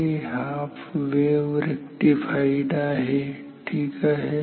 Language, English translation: Marathi, It is half wave rectified ok